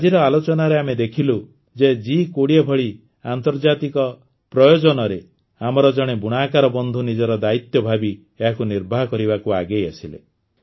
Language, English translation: Odia, In today's discussion itself, we saw that in an international event like G20, one of our weaver companions understood his responsibility and came forward to fulfil it